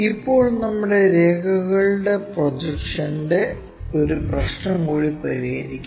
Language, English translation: Malayalam, Now, let us solve one more problem for our projection of lines